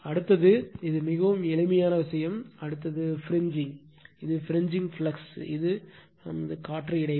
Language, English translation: Tamil, Next is it is very simple thing next is fringing, it is fringing flux, which is air gap